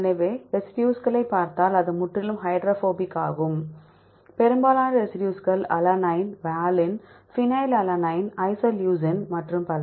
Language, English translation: Tamil, So, it is completely hydrophobic if you see the residues most of the residues are alanine valine, phenylalanine, isoleucine and so on